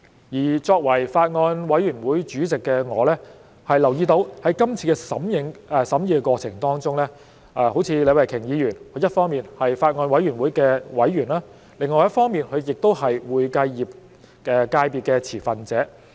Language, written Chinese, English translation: Cantonese, 我作為法案委員會主席，我留意到在今次的審議過程當中，好像李慧琼議員，她一方面是法案委員會的委員，另一方面，她也是會計業界別的持份者。, Being the Chairman of the Bills Committee I have noticed that during the deliberation process take Ms Starry LEE as an example she is a member of the Bills Committee on the one hand and also a stakeholder of the accounting profession on the other